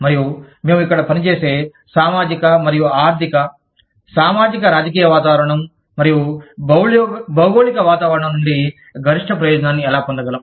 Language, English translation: Telugu, And, how can we take the maximum benefit, from the socio economic, and socio political environment, and the geographical environment, that we operate here